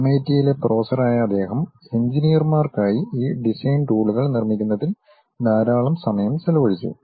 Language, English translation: Malayalam, He was a professor at MIT, and he has spent lot of time in terms of constructing these design tools for engineers